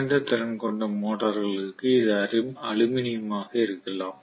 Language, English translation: Tamil, Whereas for low capacity motors it may be you know aluminum